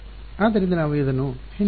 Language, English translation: Kannada, So, we will just keep this in the background ok